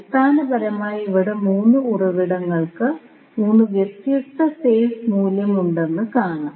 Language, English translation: Malayalam, So, basically here you will see that the 3 sources are having 3 different phase value